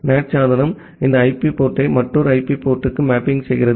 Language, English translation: Tamil, NAT device makes a mapping of this IP port to another IP port